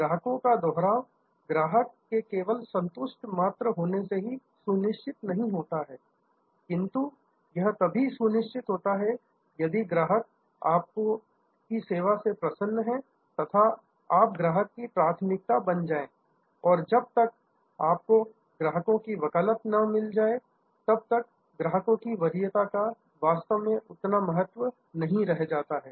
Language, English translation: Hindi, Repeat business is not ensure by customer just being satisfied, repeat business is ensured, if customer in comparison to competition is delighted with your service and then, you have what we call customer preference and today customer preference, until and unless you get customer advocacy is really of not that much value